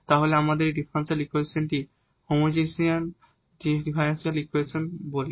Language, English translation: Bengali, So, we go through this example which is of this homogeneous differential equation